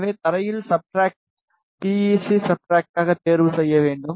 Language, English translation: Tamil, So, so for the ground the substrate should be chosen as PEC substrate